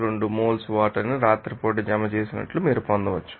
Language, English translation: Telugu, 012 moles of water are deposited at night